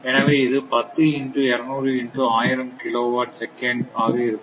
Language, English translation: Tamil, So, it is 10 into 200 into 1000 kilowatt second